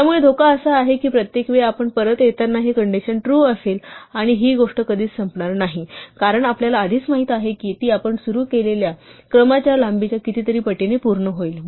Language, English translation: Marathi, So the danger is that every time we come back the condition will be true and this thing will never end in the for case we know in advance that it will execute exactly as many times is length of the sequence that we started